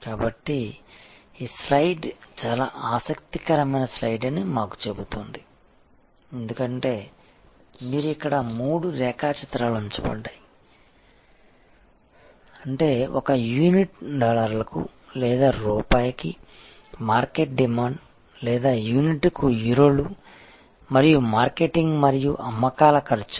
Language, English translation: Telugu, So, this slide tells us that this is a very interesting slide as you can see here all three diagrams are put on; that means, market demand per unit dollars or rupees or Euros per unit and marketing and sales expenses